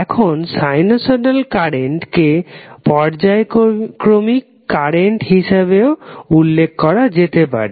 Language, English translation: Bengali, Now, sinusoidal current is usually referred to as alternating current